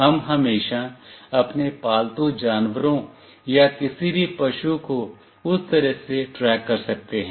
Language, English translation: Hindi, We can always track our pets or any cattle in that way